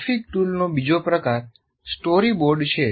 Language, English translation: Gujarati, Now another type of graphic tool is what you call storyboard